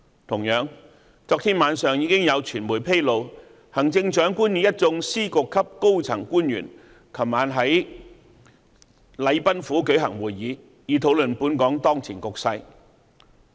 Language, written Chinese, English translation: Cantonese, 同樣，昨天晚上已有傳媒披露，行政長官與一眾司局級高層官員在禮賓府舉行會議，以討論本港當前局勢。, Similarly last night the media disclosed that the Chief Executive had met with officials at Secretary and Director of Bureau ranks at the Government House and discussed the current situation of Hong Kong